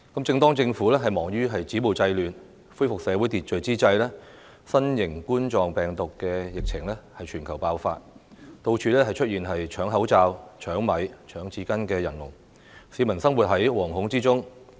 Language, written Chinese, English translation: Cantonese, 正當政府忙於止暴制亂，恢復社會秩序之際，新型冠狀病毒的疫情在全球爆發，到處出現搶口罩、搶米和搶廁紙的人龍，市民生活在惶恐之中。, While the Government is engaged in stopping violence and curbing disorder and trying to restore social order there is a worldwide outbreak of novel coronavirus . People are living in fear as evident from the long queues of people snapping up face masks rice and toilet rolls . Last month the Government announced the order to prohibit group gatherings